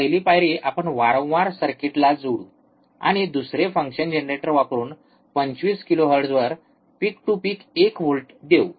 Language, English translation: Marathi, First step let us repeat connect the circuit second apply one volt peak to peak at 25 kilohertz using functions generator